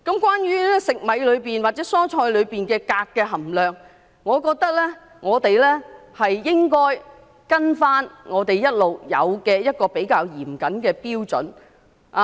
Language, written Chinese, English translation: Cantonese, 關於食米或蔬菜的鎘含量，我認為我們應該依循一直沿用比較嚴謹的標準。, As for cadmium content in rice or vegetables I think we should maintain the more stringent standard enforced by us all along